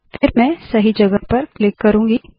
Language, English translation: Hindi, I will then click at the correct position